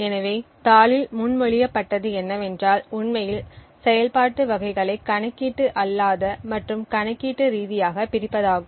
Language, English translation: Tamil, So, what was proposed in the paper was to actually divide the type of operations into non computational and computational